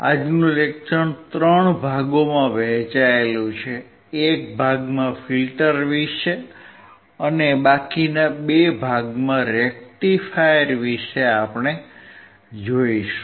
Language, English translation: Gujarati, Today’s lecture is divided into 3 parts, one is about the filters, and two about rectifiers